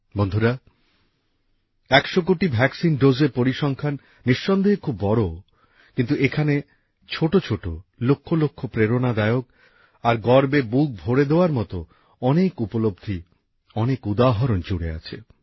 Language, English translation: Bengali, the figure of 100 crore vaccine doses might surely be enormous, but there are lakhs of tiny inspirational and prideevoking experiences, numerous examples that are associated with it